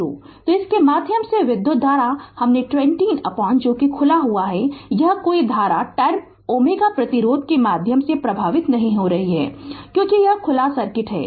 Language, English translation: Hindi, So, current through this I told you 20 upon this is open this no current is flowing through 10 ohm resistance, because it is open circuit